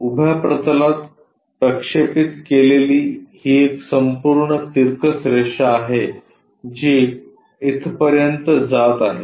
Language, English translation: Marathi, This is a entire incline one projected onto vertical plane which goes all the way up here